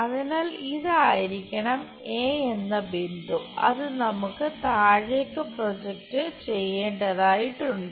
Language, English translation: Malayalam, So, this must be the point A capital A, that we have to project it onto this bottom